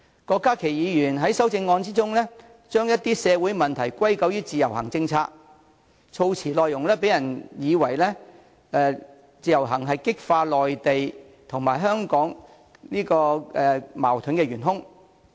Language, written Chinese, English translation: Cantonese, 郭家麒議員在修正案中將一些社會問題歸咎於自由行政策，措辭內容讓人以為自由行是激化內地與香港矛盾的元兇。, Dr KWOK Ka - ki in his amendment blames certain social problems on the policy on Individual Visit Scheme IVS and the wording of his amendment gives the impression that IVS is the key factor that has intensified the conflicts between the Mainland and Hong Kong